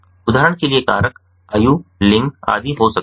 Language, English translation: Hindi, for example, the factors could be age, gender, etcetera